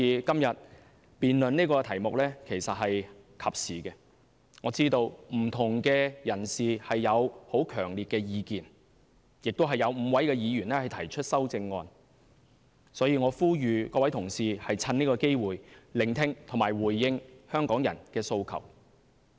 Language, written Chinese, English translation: Cantonese, 今天辯論這個題目其實是及時的，我知道不同人士有很強烈的意見，有5位議員提出修正案，所以我呼籲各位同事藉此機會聆聽和回應香港人的訴求。, Todays debate topic is a timely one . I understand that different people have their own strong views as five Members have put forward their amendments . For this reason I urge my colleagues to take this opportunity to listen and respond to the aspirations of Hong Kong people